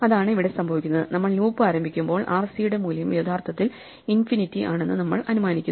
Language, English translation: Malayalam, That is what it is happening here, when we start the loop we assume that the value for r c is actually infinity